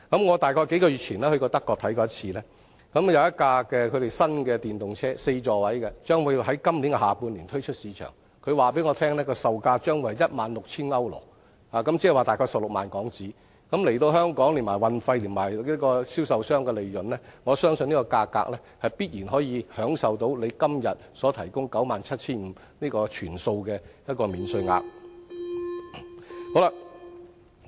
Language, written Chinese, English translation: Cantonese, 我大約於數月前到訪德國視察，他們有一輛4座位的新型號電動車將於今年下半年推出市場，他們告訴我這電動車的售價將會是 16,000 歐羅，換言之，車價大約是 160,000 港元，連同運送至香港的運費和銷售商的利潤，我相信這價格必然能享受政府今天所提供的 97,500 元的全數免稅額。, I paid a visit to Germany several months ago during which I was told that a new four - seat EV model pricing at €16,000 would be put into the market in the second half of the year . The price would be HK160,000 . Taking into account of the delivery cost and the profits of sellers the selling price of this new EV would definitely enjoy the full FRT waiver at the current ceiling of 97,500